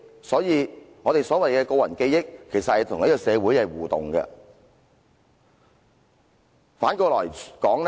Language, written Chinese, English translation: Cantonese, 所以，所謂的個人記憶，其實與這個社會是互動的。, So personal memory as we call it is actually interactive with society